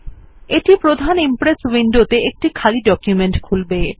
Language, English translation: Bengali, This will open an empty presentation in the main Impress window